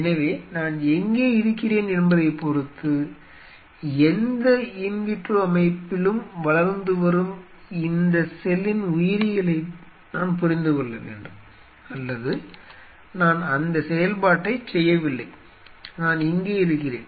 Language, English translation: Tamil, So, depending on where am I; I have to understand the biology of this cell which is under growing in any in vitro setup or I am not even performing that function I am here 0